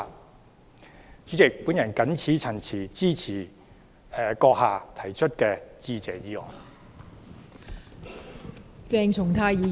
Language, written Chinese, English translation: Cantonese, 代理主席，我謹此陳辭，支持閣下提出的致謝議案。, Deputy President I so submit . I support the Motion of Thanks moved by you